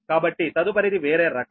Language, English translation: Telugu, so next is another one